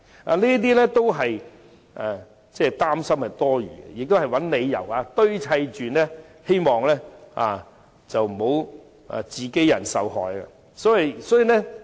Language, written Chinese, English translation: Cantonese, 他們的擔心都是多餘的，只是堆砌出來的理由，為免自己人受害。, Their concerns are gratuitous and they have merely made up a pretext to avoid victimizing their own people